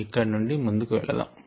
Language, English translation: Telugu, let us move forward now